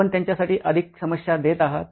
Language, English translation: Marathi, You’re giving more problems for them